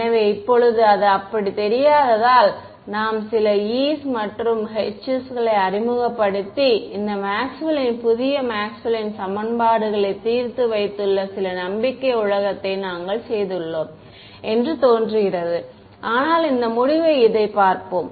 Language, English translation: Tamil, So, now, let us because it does not seem that way, just seem that we have done some make belief world where we have introduced some e’s and h’s and solved this Maxwell’s new Maxwell’s equations, but let us look at the conclusion right